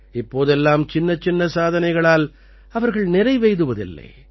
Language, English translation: Tamil, Now they are not going to be satisfied with small achievements